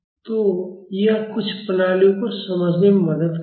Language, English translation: Hindi, So, this will help in understanding some systems